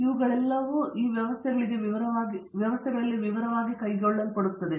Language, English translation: Kannada, All these are aspects are carried out in detail for these systems